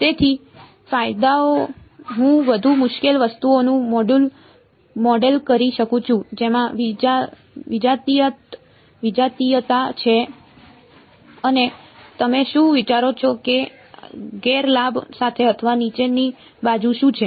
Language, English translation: Gujarati, So, advantages I can model more difficult objects which have heterogeneity and what what do you think with the with the disadvantage be or the down side